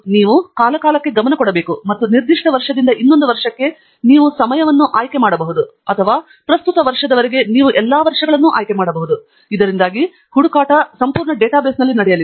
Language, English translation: Kannada, you should also pay attention to this time span and you can choose a time span either from a particular year to another year or you can choose all years till the present, so that the search be done across the entire database